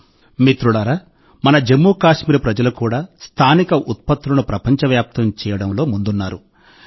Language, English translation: Telugu, Friends, the people of Jammu and Kashmir are also not lagging behind in making local products global